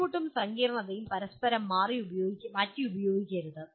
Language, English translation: Malayalam, Difficulty and complexity should not be interchangeably used